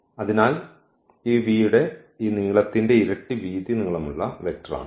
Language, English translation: Malayalam, So, that is the vector this width length double of this length of this v